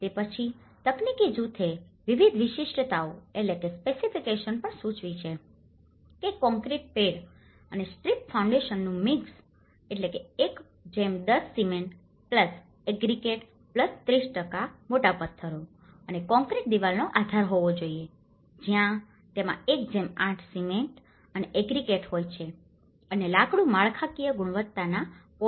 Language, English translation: Gujarati, Then, the technical group also have suggested various specifications that concrete pad and strip foundations which should have a mix of 1:10 cement+aggregate+30% of large stones and concrete wall base where it have mix of 1:8 cement and aggregate and wood is structural quality poles